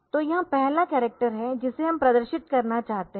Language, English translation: Hindi, So, this is the first character that we want to display